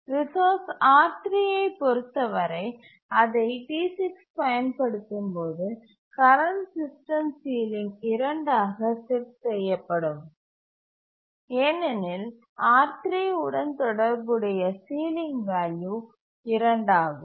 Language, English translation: Tamil, When T6 is using the resource R3, then the current system sealing will be set to 2 because the sealing value associated with R3 is 2